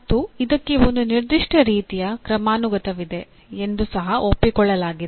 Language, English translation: Kannada, And it is also accepted there is certain kind of hierarchy